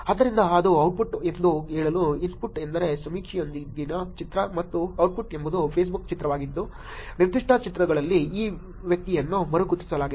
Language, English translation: Kannada, So, that is the output so to say, the input is the picture with the survey and output is the image from Facebook which is re identified this person in particular pictures